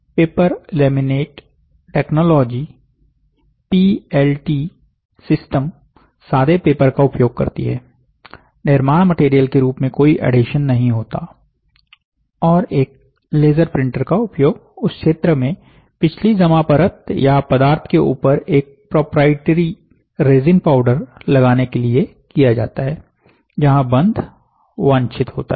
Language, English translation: Hindi, The paper laminated technology system PLT makes use of plain paper no adhesion as a building material, and a laser printer is used to apply a proprietary resin powder on top of the previous deposited layer or substance in the region where bonding is desired